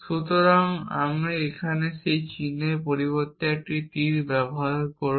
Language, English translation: Bengali, So, have use an arrow instead of that sign here